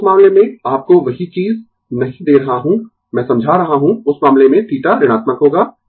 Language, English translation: Hindi, So, in that case not giving you the same thing I explaining; in that case, theta will be negative